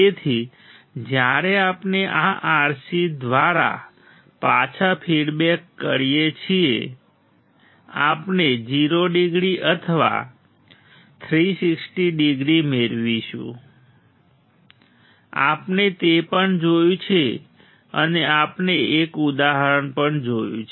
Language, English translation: Gujarati, So, when we feed back through this R c; we will get 0 degree or 360 degrees we have seen that right and we have also seen an example